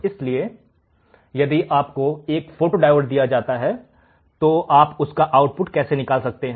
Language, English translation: Hindi, So, if you are given a photodiode, how can you measure the output